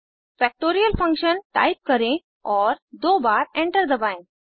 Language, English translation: Hindi, Type Factorial Function: and press enter twice